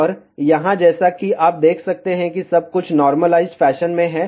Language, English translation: Hindi, And here as you can see everything is in the normalized fashion